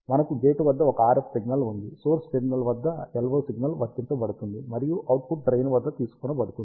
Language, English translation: Telugu, We have an RF signal applied at the gate, LO signal applied at the source terminal, and the output is taken at the drain